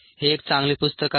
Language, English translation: Marathi, this is a good book